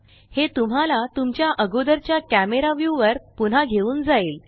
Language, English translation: Marathi, This will take you back to your previous camera view